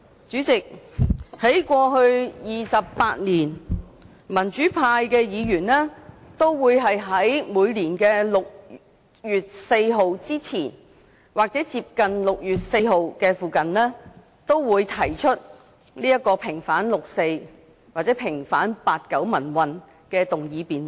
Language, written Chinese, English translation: Cantonese, 主席，在過去28年，民主派議員都會在每年的6月4日之前或接近6月4日時，提出平反六四或平反八九民運的議案辯論。, President over the past 28 years the pro - democracy Members moved a motion debate on vindicating the 4 June incident or the 1989 pro - democracy movement before or near 4 June every year